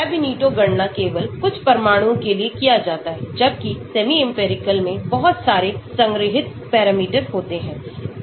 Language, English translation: Hindi, So, Ab initio calculations are done only for few atoms whereas, semi empirical contains lot of stored parameters